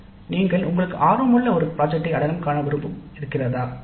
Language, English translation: Tamil, You had the option of identifying a project of interest to you